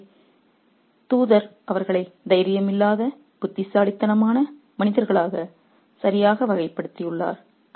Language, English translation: Tamil, So, the messenger has rightly characterized them as enerated men who have no courage left